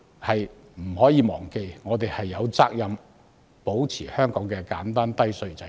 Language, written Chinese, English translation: Cantonese, 大家不能忘記，我們有責任保持香港的簡單低稅制度。, We should not forget that we are duty - bound to maintain the simple and low tax regime of Hong Kong